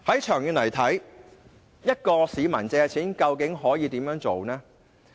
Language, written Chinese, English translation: Cantonese, 長遠而言，市民想借貸究竟可以怎樣做呢？, In the long run what can members of the public do should they wish to borrow money?